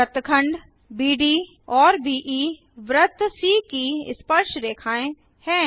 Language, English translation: Hindi, Segments BD and BE are tangents to the circle c